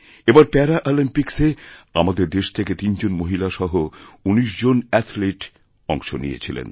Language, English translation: Bengali, This time 19 athletes, including three women, took part in Paralympics from our country